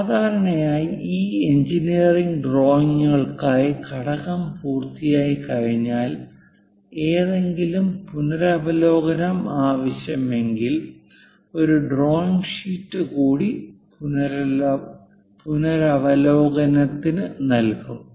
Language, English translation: Malayalam, Usually, for these engineering drawings once component is meet and if there is any revision required one more drawing sheet will be provided with the revision